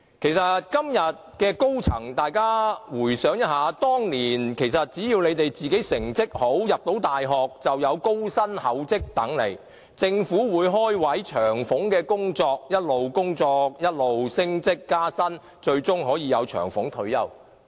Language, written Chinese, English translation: Cantonese, 事實上，今天的高層可以回想一下，當年只要你們自己成績好，能入讀大學，便有高薪厚職等着你們，政府會開設職位，工作有長俸，不斷工作，不斷升職加薪，最終可享長俸退休。, As a matter of fact those in senior positions toady can think of their younger days . Back then only if you had good academic results and could be admitted to universities there would be high pay jobs waiting for you . The Government at that time created more job opportunities and they were jobs with pensions